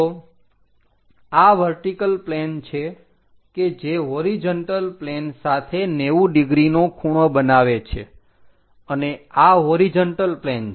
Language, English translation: Gujarati, So, this is vertical plane which is making 90 degrees with the horizontal plane and horizontal plane is this